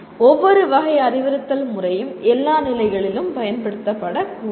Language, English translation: Tamil, Every type of instructional method should not be used in all conditions